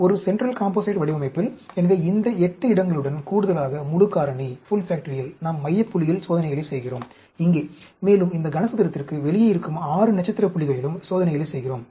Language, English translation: Tamil, In a central composite design, so, in addition to this 8 places, full factorial, we do experiments at the central point, here; and, we also do experiments at 6 star points which are outside this cube